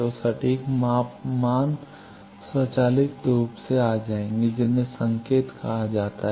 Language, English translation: Hindi, So, that exact measurement values automatically will come, those are called markers